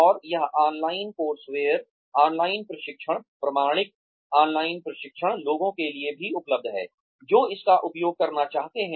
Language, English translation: Hindi, And, this online courseware, online training, authentic online training, is also available for people, who want to use it